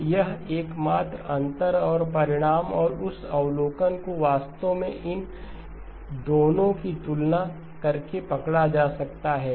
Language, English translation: Hindi, So that is the only difference and the result and that observation can be actually captured by comparing these two